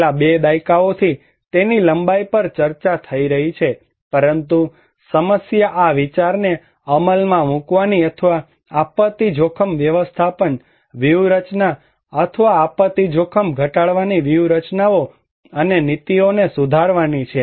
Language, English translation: Gujarati, For last two decades, it has been discussed at a length, but the problem is to put this idea into practice or to improve disaster risk management strategies or disaster risk reduction strategies and policies